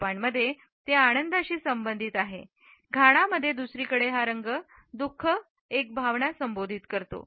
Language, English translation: Marathi, In Japan it is associated with happiness; in Ghana on the other hand it is associated with a sense of sorrow